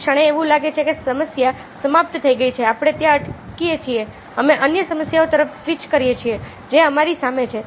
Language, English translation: Gujarati, as the problem is over, we stop their, we switch to other problems which are facing us